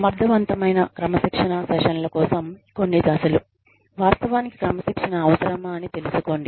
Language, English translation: Telugu, Some steps for effective disciplinary sessions are, determine, whether the discipline is called for